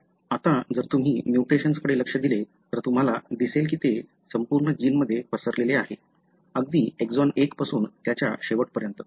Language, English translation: Marathi, Now, if you look into the mutations, you can see that it is spread all over the gene, right from exon 1 to end of it, you will find all sorts of mutations